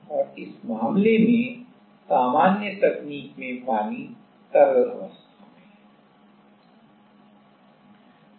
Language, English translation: Hindi, And, in this case the usual technique the water is in liquid phase